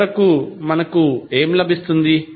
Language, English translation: Telugu, So, finally what we got